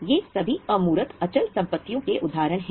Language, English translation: Hindi, All these are examples of intangible fixed assets